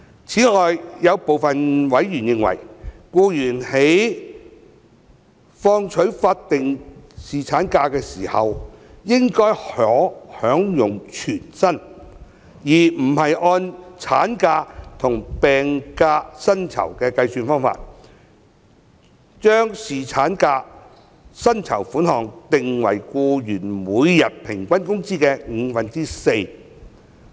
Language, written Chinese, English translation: Cantonese, 此外，有部分委員認為，僱員在放取法定侍產假時，應該可享有全薪，而不是按產假和病假薪酬的計算方法，將侍產假薪酬款額定為僱員每天平均工資的五分之四。, Moreover some members are of the view that instead of setting the rate of paternity leave pay at four fifths of an employees average daily wages as in the case of maternity leave and sick leave employees on statutory paternity leave should be entitled to full pay